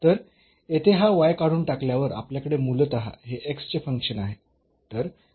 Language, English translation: Marathi, So, by removing this y from here we have basically this function of x